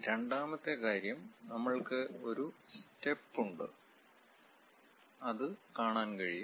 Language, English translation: Malayalam, Second thing, we have a step; the step can be clearly seen